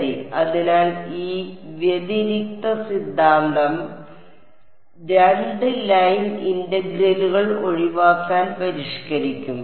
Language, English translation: Malayalam, Right, so this divergence theorem will get modified to exclude to have 2 line integrals